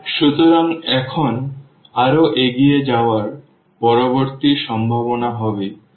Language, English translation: Bengali, So, now moving further the next possibility will be when this is 0